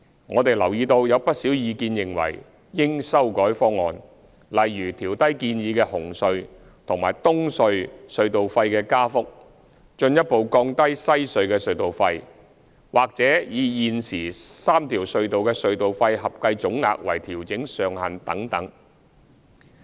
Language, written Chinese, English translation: Cantonese, 我們留意到有不少意見認為應修改方案，例如調低建議的紅隧和東隧隧道費的加幅、進一步降低西隧的隧道費，或以現時3條隧道的隧道費合計總額為調整上限等。, We have noted that there are views that the proposal should be revised such as lowering the proposed increases in CHT and EHC tolls further reducing WHC tolls or capping the adjustment at the aggregate tolls of the three RHCs